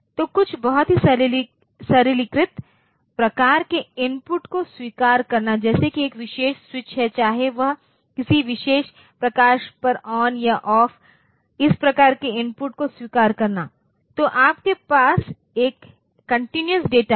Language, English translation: Hindi, So, accepting some very simplistic type of inputs like say is a particular switch whether it is on or off a particular light whether it is on or off accepting this type of input so what you have is a continuous data